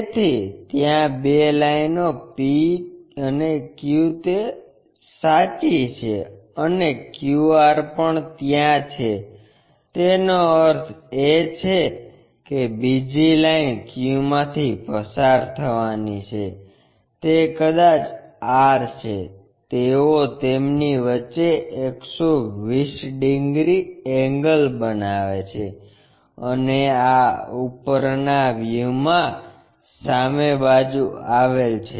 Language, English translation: Gujarati, So, there are two lines P and Q these are true ones, and QR also there that means, the other line supposed to pass through Q maybe that is R; they make 120 degrees angle between them and these are in front in the top views